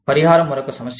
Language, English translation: Telugu, Compensation is another issue